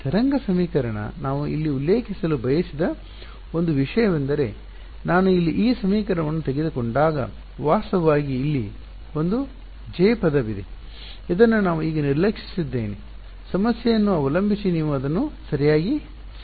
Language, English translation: Kannada, Wave equation one thing I wanted to mention that when I took this equation over here there was there is also actually a J term over here, which I have ignored for now depending on the problem you will need to add it in ok